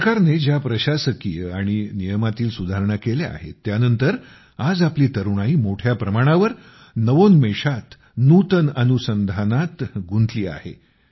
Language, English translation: Marathi, After the administrative and legal reforms made by the government, today our youth are engaged in innovation on a large scale with renewed energy